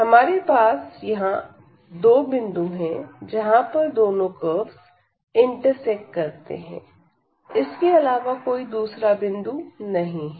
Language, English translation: Hindi, So, we will have these two points now where these two curves intersects